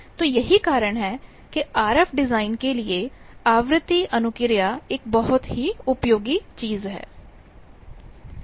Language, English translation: Hindi, So, that is why frequency response is a very useful thing for RF design